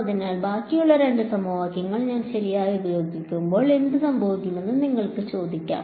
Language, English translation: Malayalam, So, you can ask what happens when I use the remaining 2 equations right